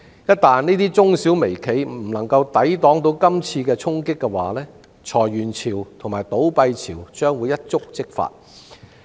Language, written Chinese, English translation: Cantonese, 一旦這些中小微企不能夠抵擋今次衝擊，裁員潮和倒閉潮將會一觸即發。, Once MSMEs fail to withstand this blow it will set off waves of layoffs and business closures